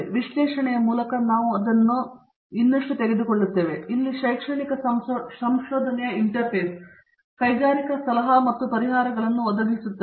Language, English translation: Kannada, We take it up further by way of analysis and here comes the interface of academic research, industrial consulting and providing solutions